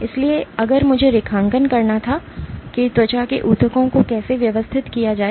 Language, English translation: Hindi, So, if I were to draw how skin tissue is organized